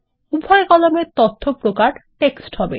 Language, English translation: Bengali, Let both columns be of data type TEXT